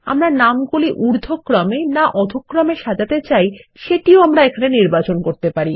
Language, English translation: Bengali, We can also choose if we want to sort the names in ascending or descending order